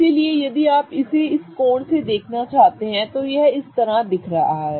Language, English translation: Hindi, So, if you want to look at it from this angle, this is what it is going to look like, right